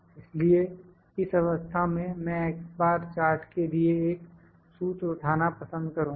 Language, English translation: Hindi, So, in this case I like to put another formula that is a quick formula for the x bar chart